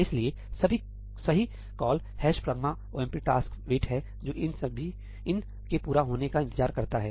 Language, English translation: Hindi, So, the right call is ‘hash pragma omp taskwait’ that waits for these to complete